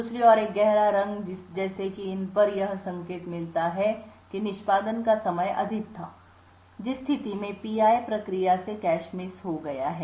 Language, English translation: Hindi, On the other hand a darker color such as these over here would indicate that the execution time was higher in which case the P i process has incurred cache misses